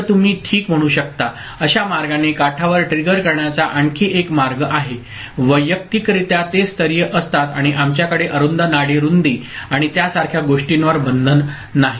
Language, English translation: Marathi, So, that is another way of getting the edge triggering in a roundabout way you can say ok, where; individually they are level triggered and we do not have restriction on narrow pulse width and things like that ok